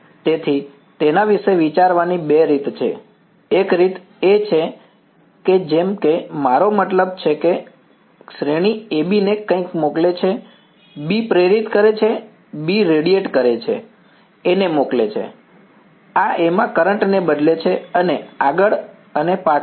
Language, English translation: Gujarati, So, there are two ways of thinking about it, one way is that a like a I mean like a series A sends something to B, B induces B radiates sends to A, this changes the current in A and so on, back and forth right